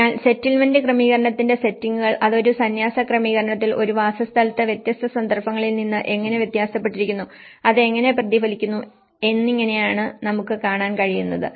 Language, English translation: Malayalam, So, this is how what we can see is the settings of the settlement setting, how it is at a monastral setting, at a dwelling setting, how it has varied from a different context and how it is reflected